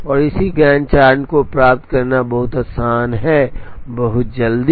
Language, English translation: Hindi, And it is easy to get the corresponding Gantt chart very, very quickly